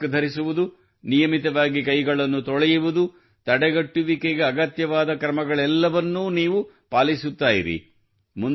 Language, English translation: Kannada, Wearing a mask, washing hands at regular intervals, whatever are the necessary measures for prevention, keep following them